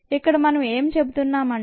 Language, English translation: Telugu, that's where we are going to focus on